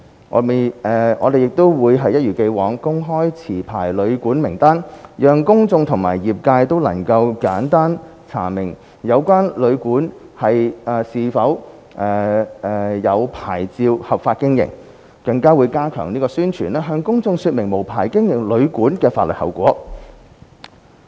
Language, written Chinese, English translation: Cantonese, 我們亦會一如既往，公開持牌旅館名單，讓公眾和業界都能簡單查明有關旅館是否持有牌照合法經營，更會加強宣傳，向公眾說明無牌經營旅館的法律後果。, As in the past we will publish a list of licensed hotels and guesthouses so that the public and the sector can easily identify whether a hotel or guesthouse is operating legally with a licence . We will also step up publicity explaining to the public the possible legal consequences of managing unlicensed hotels and guesthouses